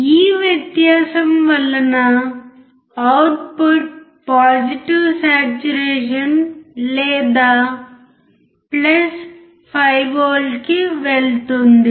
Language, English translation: Telugu, This difference will cause the output to go to the positive saturation or + 5V